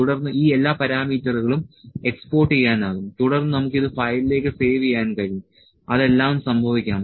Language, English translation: Malayalam, So, this all parameters can be exported then we can save it to the file all those things can happen